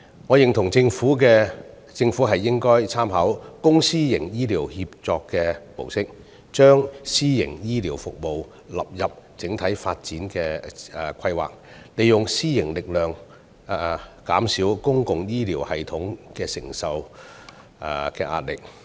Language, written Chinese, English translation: Cantonese, 我認同政府應該參考"公私營醫療協作"模式，將私營醫療服務納入整體發展規劃，利用私營力量減少公營醫療系統所承受的壓力。, I concur with the view that the Government should draw reference from the public - private partnership model in healthcare and incorporate private healthcare services into the overall development planning so as to draw on the strength of the private sector to alleviate the pressure on the public healthcare system